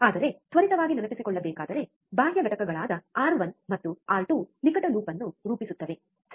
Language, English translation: Kannada, But just to quickly recall, external components R 1 and R 2 form a close loop, right